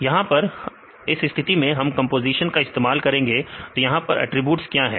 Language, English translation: Hindi, Here in this case now we use the composition; so, what are the attributes here